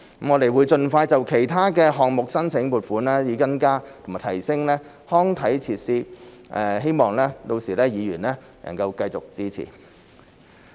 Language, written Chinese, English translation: Cantonese, 我們會盡快就其他項目申請撥款，以增加和提升康體設施，希望屆時議員能夠繼續支持。, We will expeditiously submit funding applications for other projects so as to increase and enhance sports and recreational facilities . We hope that Members will continue to render their support then